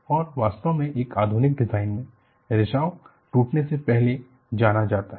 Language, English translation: Hindi, And, in fact, in modern design you have, what is known as leak before break